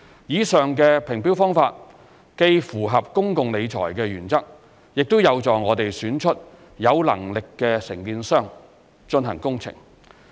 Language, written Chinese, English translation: Cantonese, 以上的評標方法既符合公共理財原則，亦有助我們選出有能力的承建商進行工程。, The above mentioned tender evaluation method not only follows the public finance principles but also enables us to select competent contractors to undertake the works